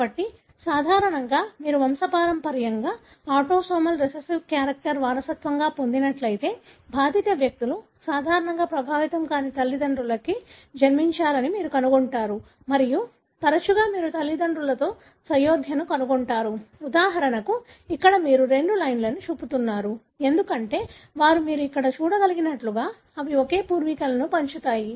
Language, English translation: Telugu, So, usually if you look into a pedigree that is autosomal recessive character being inherited, you will find that affected people are usually born to unaffected parents and more often you would find consanguinity in parents like for example here you are showing two lines, because they are related because they share the same ancestry, as you can see here